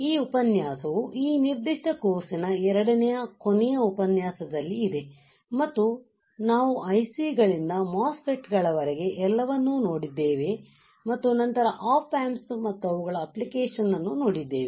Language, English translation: Kannada, This lecture is somewhere in the second last lecture of this particular course and we have reached to the point that we have seen somewhere from ICS to MOSFETS followed by the op amps and their application